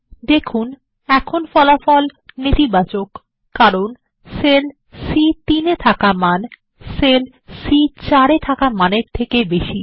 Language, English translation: Bengali, Note, that the result is now Negative, as the value in cell C3 is greater than the value in cell C4